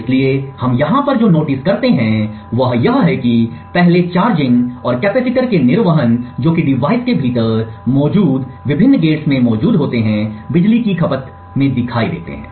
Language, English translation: Hindi, So, what we notice over here is that first the charging and the discharging of the capacitors which are present in the various gates present within the device shows up in the power consumed